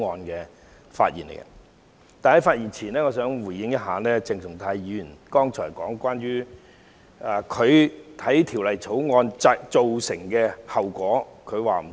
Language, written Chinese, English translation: Cantonese, 在發言前，我想先回應鄭松泰議員剛才提到他認為《條例草案》會造成的後果。, Before I speak I would like to respond to Dr CHENG Chung - tais earlier comments on the consequences of the Bill